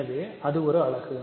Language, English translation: Tamil, So, it is a unit